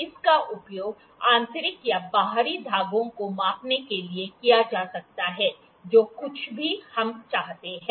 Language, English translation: Hindi, It may be used to measure the internal or external threads, both whatever we desire